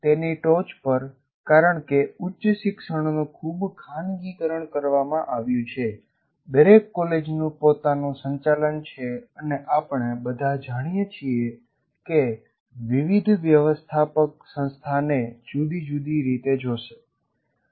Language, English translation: Gujarati, On top of that, because the education is highly privatized, that means each college has its own management and we all know different management will look at the institution in a different way